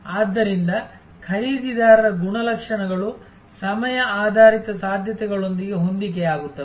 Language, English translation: Kannada, So, buyer characteristics will be the matched with the time based possibilities